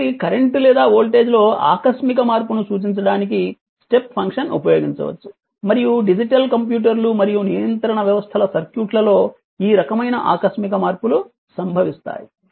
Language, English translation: Telugu, So, step function can be used to represent an output abrupt sorry abrupt change in current or voltage and this kind of abrupt changes occur in the circuit of digital computers and control systems right